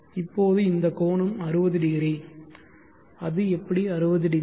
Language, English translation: Tamil, Now this angle is 600, how it is 600